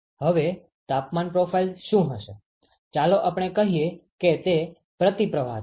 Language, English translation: Gujarati, Now, what will be the temperature profile, let us say it is a counter flow